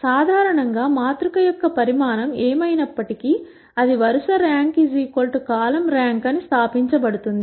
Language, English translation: Telugu, In general whatever be the size of the matrix, it has been established that row rank is equal to column rank